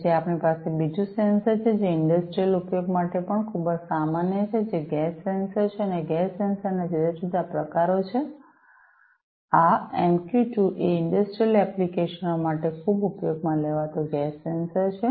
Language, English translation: Gujarati, Then, we have another sensor which is also very common for industrial use which is the gas sensor and there are different variants of gas sensor; this MQ 2 is a very commonly used gas sensor for industrial applications